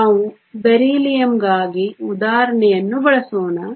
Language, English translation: Kannada, Let us use the example for Beryllium